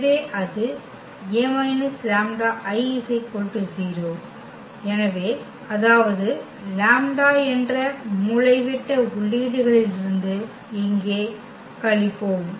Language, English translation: Tamil, So, that will be A minus this lambda I is equal to 0 so; that means, we will subtract here from the diagonal entries lambda